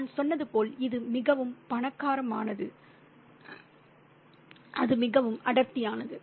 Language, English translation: Tamil, Yeah, it's very rich, as I said, and it's very dense